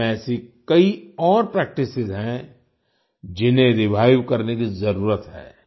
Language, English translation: Hindi, There are many other such practices in India, which need to be revived